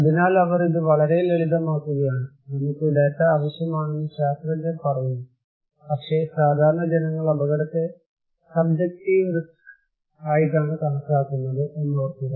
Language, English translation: Malayalam, So, but they are making it very simple, the scientists are saying that you need data but remember that risk perception that is subjective risk, what laypeople think